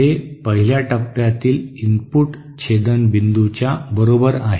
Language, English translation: Marathi, This is equal to 1 over the input intercept point of the first stage like this